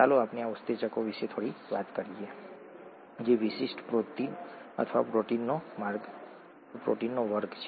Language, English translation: Gujarati, Let us talk a little bit about these enzymes which are specialised proteins or a class of proteins